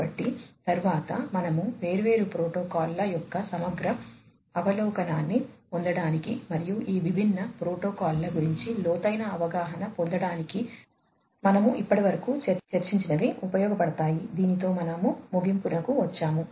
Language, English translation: Telugu, So, next, you know, so we come to the references which you can use for getting a comprehensive overview of the different protocols and getting an in depth understanding of these different protocols that we have discussed so far, with this we come to an end